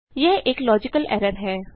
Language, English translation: Hindi, This is a logical error